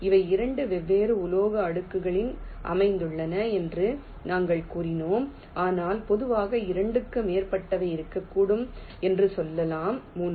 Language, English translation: Tamil, we told that they are located on two different metal layers, but in general there can be more than two